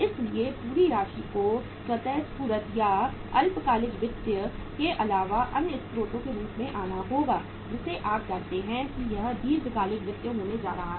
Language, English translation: Hindi, So entire amount has to come form the sources other than the spontaneous or the short term finance which is we know it that it is going to be the long term finance